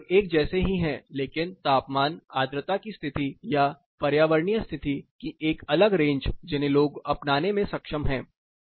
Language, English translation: Hindi, So, more or less overlapping, but a different range of temperature humidity condition or environmental condition which it people are able to adopt